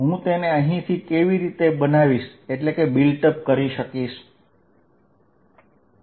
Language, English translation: Gujarati, How do I build it up from here